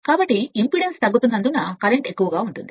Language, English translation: Telugu, So, as impedance is getting reduced so current will be higher